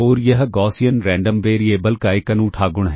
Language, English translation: Hindi, So, what is a Gaussian random variable